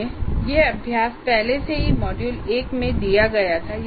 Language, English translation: Hindi, This exercise we already asked in the module 1